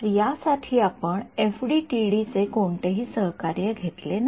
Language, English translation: Marathi, So, this we did not take any recourse to FDTD for this